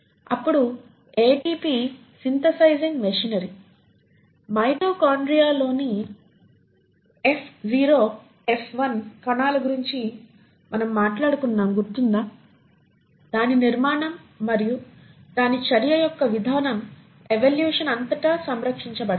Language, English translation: Telugu, Then the ATP synthesising machinery; remember we spoke about the F0 F1 particle in the mitochondria, its architecture and its mode of action is fairly conserved across evolution